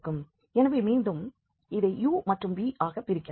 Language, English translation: Tamil, So, again we can break into u and v